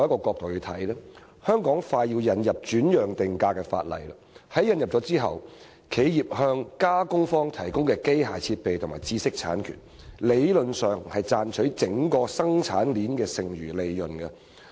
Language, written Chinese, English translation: Cantonese, 香港快要引入轉讓定價的法例，法例引入後，企業向加工方提供的機械設備和知識產權，理論上是賺取整個生產鏈的剩餘利潤。, Hong Kong is about to introduce legislation on transfer pricing and after the enactment of legislation the provision of machinery and IPRs by an enterprise to the processing parties is in theory a means to earn the residual profits in the entire production chain